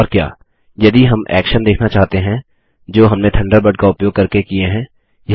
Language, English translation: Hindi, And what if we want to view the the actions that we did using Thunderbird